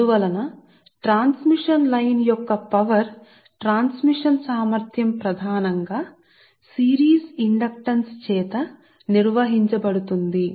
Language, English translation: Telugu, therefore this your power transmission capacity of the transmission line is mainly governed by the series inductance right